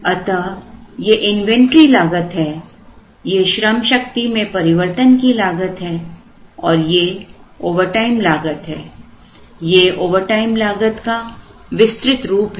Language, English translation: Hindi, So, this is the inventory cost, this is the workforce changeover cost and this is the overtime cost, this is the overtime cost expanded in a certain form